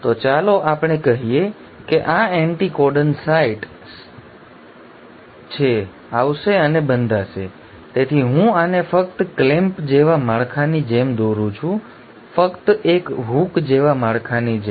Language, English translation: Gujarati, So let us say this is the anticodon site, will come and bind, so I am just drawing this like a clamp like structure, just a hook like structure